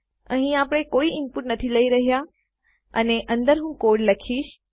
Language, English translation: Gujarati, Were not taking any input here and inside Ill write my code